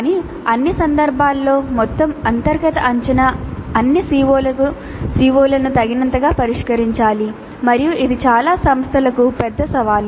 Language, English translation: Telugu, But in all cases the internal assessment taken as a whole must address all the COS adequately and this is a major challenge for many institutes